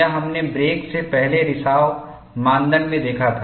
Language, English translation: Hindi, This we had seen, even in leak before break criterion